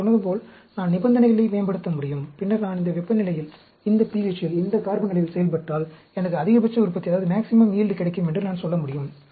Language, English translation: Tamil, Like I said, I can optimize the conditions, and then, I can say, if I operate at this temperature, this pH, this carbon amount, I will get maximum yield